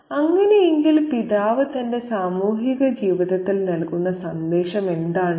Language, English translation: Malayalam, So, what is the message that the father has to offer in his social life